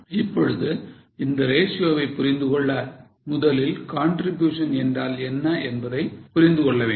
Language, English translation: Tamil, Now, to understand this ratio, first of all you have to understand what is contribution